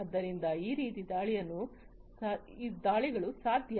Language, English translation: Kannada, So, these kinds of attacks are possible